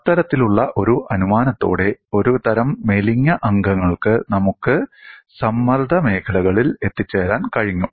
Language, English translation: Malayalam, With that kind of an assumption, for a class of slender members, we were able to arrive at the stress fields